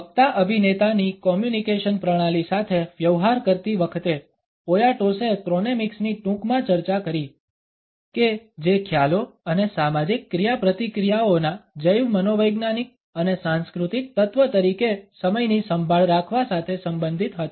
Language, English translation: Gujarati, In dealing with a communication system of the speaker actor, Poyatos briefly discussed the chronemics that concerned conceptions and the handling of time as a bio psychological and cultural element of social interactions